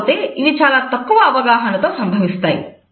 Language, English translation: Telugu, They occur with very little awareness